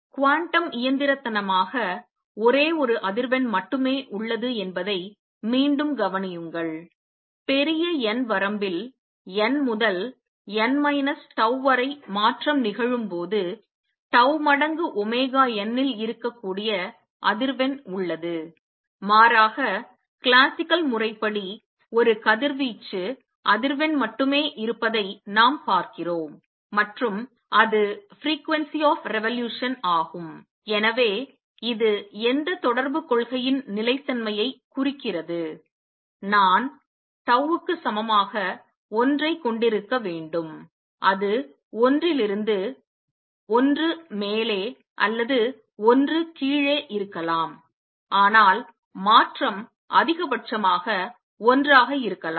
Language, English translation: Tamil, Notice again that there is only one frequency that exists quantum mechanically, when the transition takes place from n to n minus tau in the large n limit, the frequency that can exist of tau times omega n, where as classically we see only one radiation frequency existing and that is the frequency of revolution and therefore this implies for consistency which correspondence principle, I should have tau equals 1, it can be either from one up or one down, but the change can be maximum one